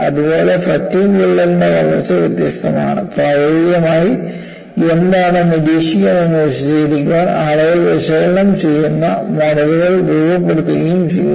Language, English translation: Malayalam, Similarly, a growth of a crack by fatigue is different, people have analyzed and have form models, to explain what is observed in practice